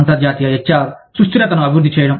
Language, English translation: Telugu, Developing international HR sustainability